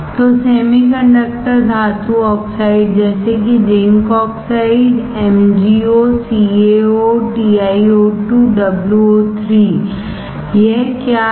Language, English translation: Hindi, So, the semiconductor metal oxides such as zinc oxide, MgO, CaO, TiO2, WO3, what is this